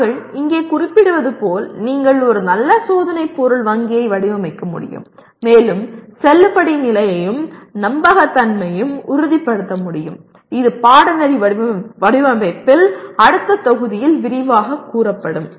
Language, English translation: Tamil, While we state here that means you can design a good test item bank and also ensure validity and reliability, this we will be elaborating only in the next module on Course Design